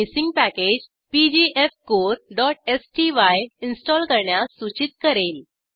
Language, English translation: Marathi, It will prompt to install the missing package pgfcore.sty